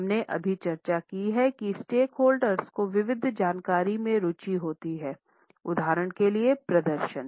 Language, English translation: Hindi, We have just discussed this that number of stakeholders have interest in variety of information, particularly for example performance